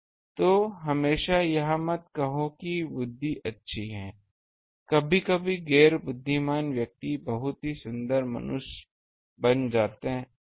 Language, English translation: Hindi, So, do not always say that intelligence is good sometimes non intelligent persons becomes very beautiful human beings